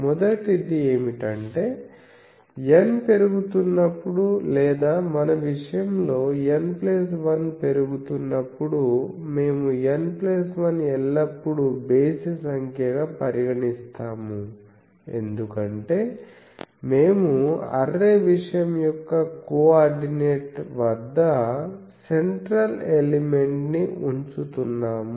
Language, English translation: Telugu, The first one is that as N increases N or N plus 1 in our case, we are considering N plus 1 always odd number, because we are placing a central element at the coordinate of array thing